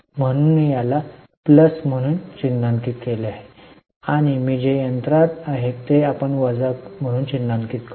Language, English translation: Marathi, So, I have marked it as plus and in I that is in the machinery we will mark it as minus